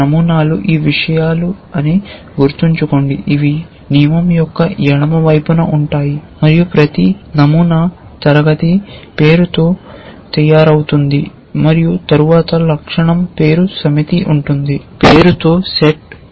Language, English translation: Telugu, Remember that patterns are these things which are will which constitutes the left hand side of a rule and each pattern is made up of a class name followed by a set of attribute name